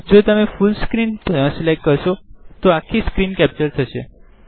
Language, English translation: Gujarati, If you select Full Screen, then the entire screen will be captured